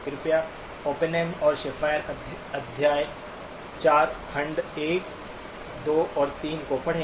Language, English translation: Hindi, Please do read Oppenheim and Schafer chapter 4, sections 1, 2 and 3